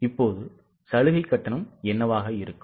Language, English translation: Tamil, Now, what will be the concessional fee